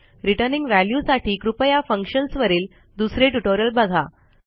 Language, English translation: Marathi, For advanced functions, like returning value, please check the other tutorials on functions